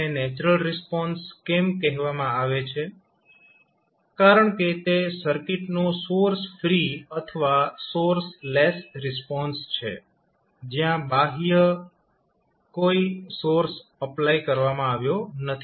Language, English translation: Gujarati, Why is it called as natural response; because it is a source free or source less response of the circuit where no any external source was applied